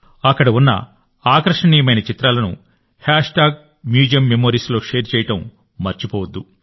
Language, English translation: Telugu, Don't forget to share the attractive pictures taken there on Hashtag Museum Memories